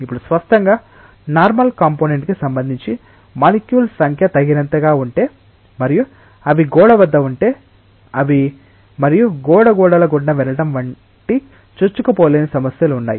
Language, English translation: Telugu, Now; obviously, regarding the normal component there are issues like if the molecules are sufficiently large in number and they are at the wall they cannot penetrate and go through the wall walls wall is not having holes